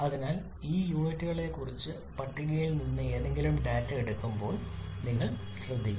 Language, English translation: Malayalam, So you have to be careful while taking any data from the table regarding this units